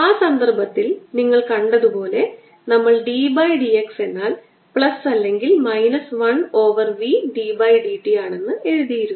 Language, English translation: Malayalam, in that case, as you notice that, since we wrote d by d s is equivalent to plus or minus one over v d by d t